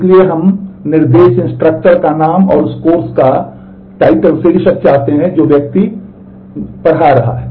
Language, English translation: Hindi, So, we want the name of the instruction instructor and the title of the course that the person is teaching